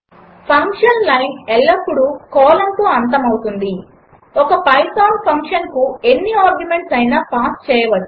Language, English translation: Telugu, The function line should always end with a colon Any number of arguments can be passed to a python function